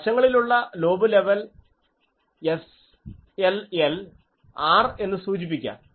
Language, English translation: Malayalam, So, let the side lobe level be specified as R